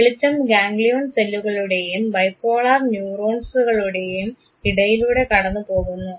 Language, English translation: Malayalam, The light passes between the ganglion cells and the bipolar neurons